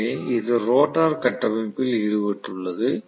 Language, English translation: Tamil, So it has engaged with the rotor structure